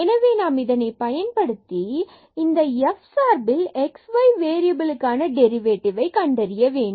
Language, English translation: Tamil, So, we are making use of that this f is a function of 2 variables x and y